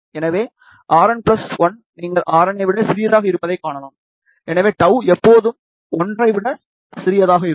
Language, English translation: Tamil, So, R n plus 1, you can see is smaller than R n, hence tau will be always smaller than 1